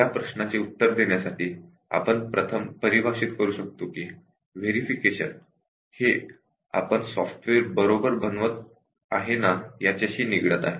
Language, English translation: Marathi, To answer this question, we can first define that verification concerns about whether we are building the software right